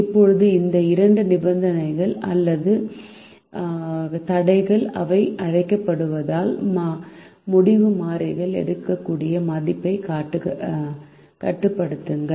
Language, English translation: Tamil, now these two conditions, or constrain as they are called, limit the value that the decision variables can take, and these constraints are shown here